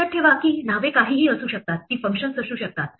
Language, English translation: Marathi, Remember that names can be anything, it could be functions